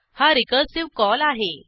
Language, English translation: Marathi, This is a recursive call